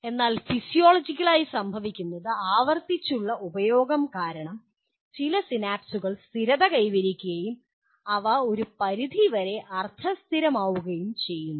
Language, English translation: Malayalam, So physiologically what happens is, certain synapses because of repeated use they get stabilized, they become somewhat semi permanent